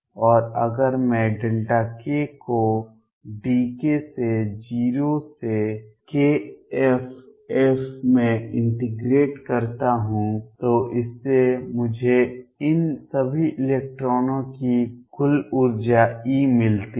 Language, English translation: Hindi, And if I integrate delta k being d k from 0 to k f this gives me total energy e of all these electrons